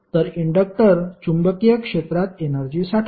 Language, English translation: Marathi, But the inductor store energy in the magnetic field